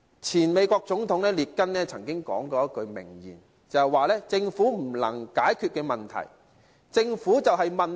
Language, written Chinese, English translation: Cantonese, 前美國總統列根曾經說過一句名言："政府不能解決問題，政府本身就是問題"。, There is a famous quote from Ronald REAGAN the former President of the United States Government is not the solution to our problem government is the problem